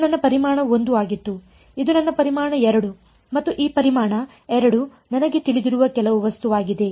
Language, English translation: Kannada, This was my volume 1; this was my volume 2 and this volume 2 is some object which I know